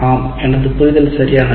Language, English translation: Tamil, Yes, this is what my understanding is correct